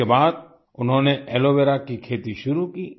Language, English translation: Hindi, After this they started cultivating aloe vera